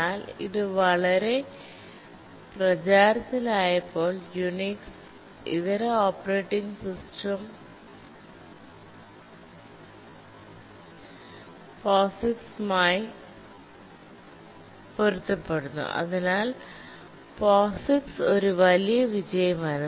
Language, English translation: Malayalam, But then it became so popular that even the non unix operating system also became compatible to the POGICs